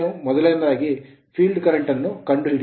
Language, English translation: Kannada, First, you find the field current